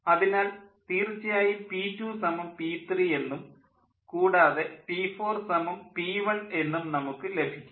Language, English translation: Malayalam, so essentially we get: p two is equal to p three and p four is equal to p one